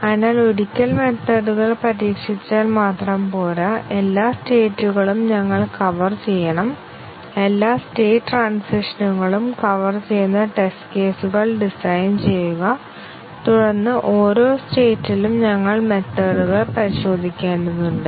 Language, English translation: Malayalam, So, it is not just enough to test the methods once, we have all the states covered, design test cases to cover all state transitions and then in each state we need to test the methods